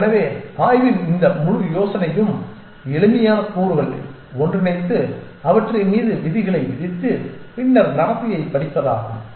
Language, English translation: Tamil, And so this whole idea of exploration is to put together simple elements impose rules upon them and then study the behavior